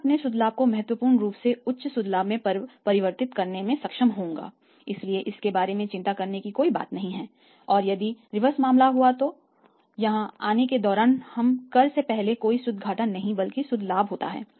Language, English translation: Hindi, I will be able to convert from net profit significant high net profit so there is nothing to worry about it and if the reverse is the case for example here you have the not the gross profit but you have the gross loss for example you have a no no gross profit here you have the gross loss right